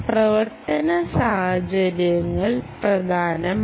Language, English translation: Malayalam, operating conditions are important